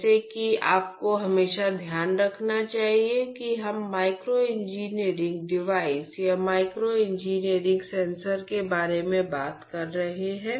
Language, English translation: Hindi, Like you should always keep in mind we are talking about micro engineered devices or micro engineered sensors